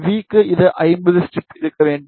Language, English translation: Tamil, And for V this should be 50 ohm strip